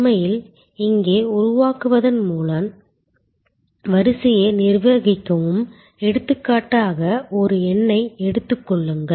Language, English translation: Tamil, Even also actually manage the queue by creating here, for example take a number